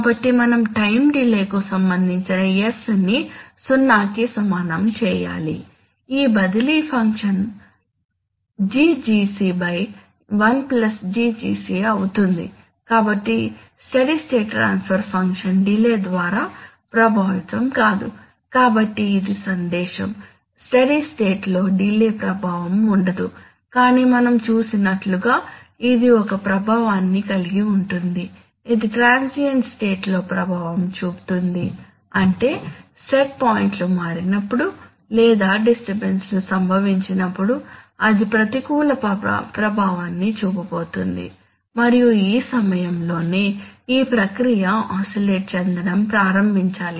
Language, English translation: Telugu, This transfer function will become GGc divided by one plus GGc, so the steady state transfer function is not affected by delay, right, so this is the message, that, in steady state delay has no effect but as we have just seen that, it has an effect, it does have a, have an effect in the transient state, that is when set points are changed or when disturbances occur, it is going to have an adverse effect and it is during these times that the process must may start to oscillate right